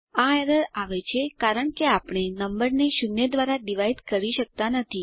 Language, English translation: Gujarati, This error occurs as we cannot divide a number with zero